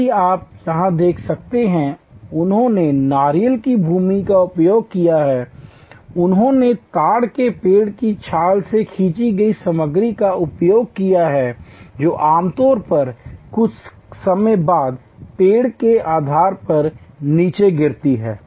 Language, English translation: Hindi, If you can see here, they have used coconut husks, they have used material drawn from a palm tree barks which usually falls down at the base of the tree after some time